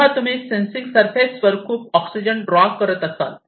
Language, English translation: Marathi, So, you are drawing lot of oxygen on to your sensing surface